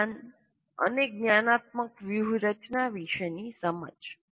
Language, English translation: Gujarati, And the other one is knowledge about cognition and cognitive strategies